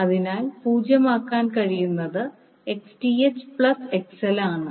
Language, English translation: Malayalam, So, what can be 0 is Xth plus XL